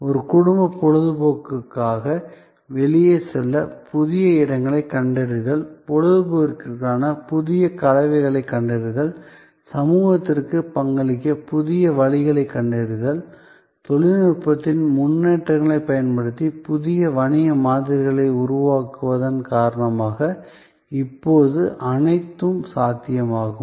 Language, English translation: Tamil, To find new places to go out to for a family entertainment, to find new composites for entertainment, finding new ways to contribute to society, all that are now possible due to creation of new business models using advances in technology